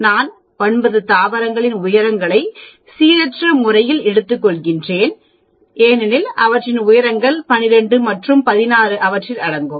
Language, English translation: Tamil, Suppose I take nine plants in a random, that the heights will lie between 12 and 16